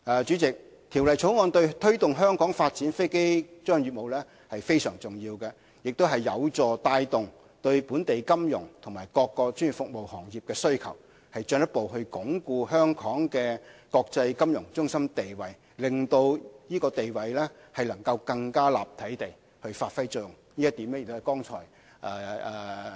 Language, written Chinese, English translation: Cantonese, 主席，《條例草案》對推動香港發展飛機租賃業務非常重要，亦有助帶動對本地金融和各專業服務行業的需求，進一步鞏固香港的國際金融中心地位，令這地位更立體地發揮作用。, President the Bill is instrumental in promoting aircraft leasing business in Hong Kong and it will also help drive demand in local financial industries and various professional services which will further consolidate Hong Kongs status as the international financial centre thus providing an opportunity for Hong Kong to showcase its multi - dimensional status